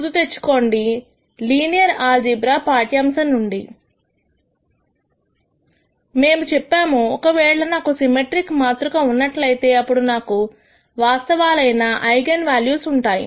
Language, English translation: Telugu, Remember from the linear algebra lecture we said if I have a symmetric matrix, then I will have the eigenvalues as being real